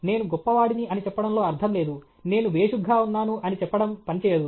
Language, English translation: Telugu, There is no point in saying that I am great; I am great; it will not work